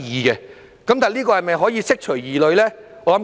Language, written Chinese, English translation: Cantonese, 那這做法是否可以釋除疑慮呢？, So can the above approach address these concerns?